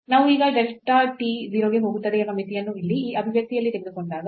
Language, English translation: Kannada, So, when we take the limit now as delta t goes to 0 in this expression here